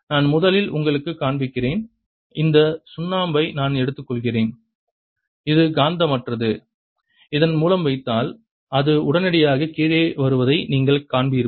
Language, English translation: Tamil, so to show that that really happens, let me first show you that if i take this piece of chalk, which is non magnetic, and put it through this, you will see it comes down immediately